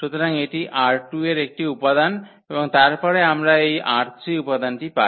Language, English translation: Bengali, So, this is an element from R 2 and then we are getting this element R 3